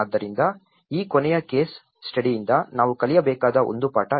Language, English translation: Kannada, So, this is one lesson which we need to learn from this last case study